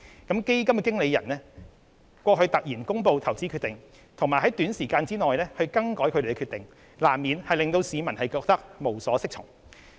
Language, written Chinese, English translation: Cantonese, 基金經理人突然公布的投資決定，以及在短時間內更改他們的決定，難免令市民感到無所適從。, The hasty announcement by the Manager about its investment decision and that such decision was then altered within a short period of time have inevitably caused confusion to the public